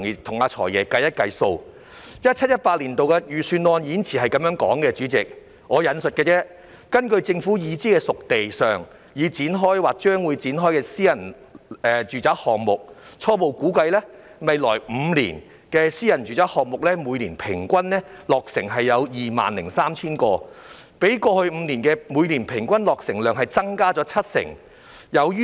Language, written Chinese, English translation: Cantonese, 代理主席 ，2017-2018 年度預算案的演辭內容如下："根據政府已知'熟地'上已展開或將會展開的私人住宅項目，初步估計，未來5年私人住宅單位的每年平均落成量約 20,300 個，比過去5年的每年平均落成量增加約七成。, Deputy President the 2017 - 2018 Budget Speech reads Based on the preliminary assessment of private residential developments known to have started or to be started on disposed sites the private sector will on average produce about 20 300 private residential units each year in the next five years representing an increase of about 70 per cent over the yearly average in the past five years